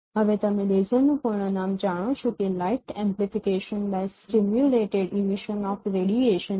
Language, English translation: Gujarati, Now you know the full form of laser that is light amplification by simulated emission of radiation